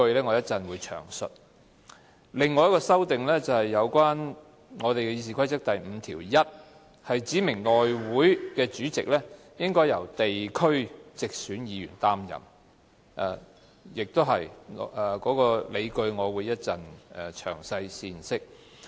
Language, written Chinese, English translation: Cantonese, 另一項修訂是關於《議事規則》第51條，指明內務委員會主席須由地區直選議員擔任，有關的理據我同樣會於稍後闡釋。, The other amendment concerns RoP 51 . It seeks to specify that the chairman of the House Committee must be a Member elected from the geographical constituency . And I will also explain my reasons later